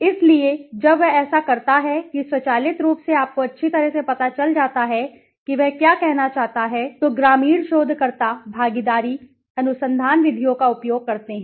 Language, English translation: Hindi, So, when he does that automatically you realize well this is what he wants to say okay, rural researchers make use of participatory research methods okay